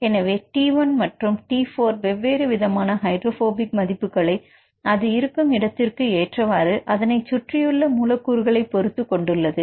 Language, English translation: Tamil, So, T 1 and T 4 they have different hydrophobicity values depending upon the location of this residue and the residues which are surrounded by any specific residues